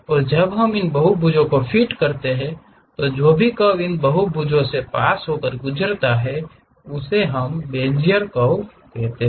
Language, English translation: Hindi, And when we are fitting these polygons, whatever the curve which pass through that crossing these polygons that is what we call Bezier curves